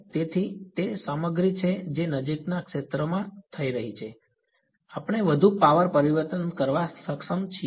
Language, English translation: Gujarati, So, it is the stuff is happening in the near field we are able to transform more power